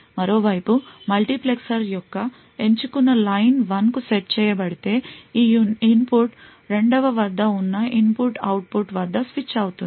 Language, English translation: Telugu, On the other hand, if the select line of the multiplexer is set to 1 then the input present at the 2nd input that is this input would be switched at the output